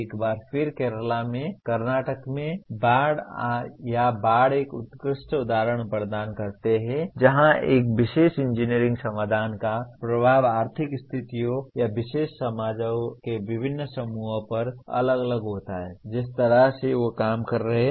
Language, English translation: Hindi, Once again, Kerala floods or floods in Karnataka do provide excellent examples where the impact of a particular engineering solution is different on different groups of persons because of economic conditions or particular societies the way they are operating